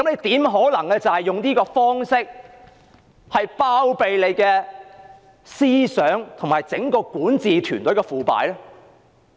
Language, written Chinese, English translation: Cantonese, 試問怎可能以這種方式包庇整個管治團隊的腐敗？, How can the entire corrupt governance team be shielded in this way?